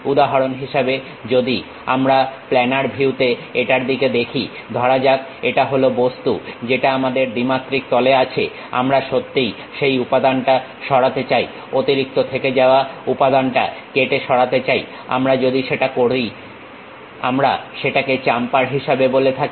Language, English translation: Bengali, For example, if we are looking it in the planar view, let us consider this is the object what we have in 2 dimension, we want to really remove that material cut, remove the extra remaining material if we do that we call that one as chamfer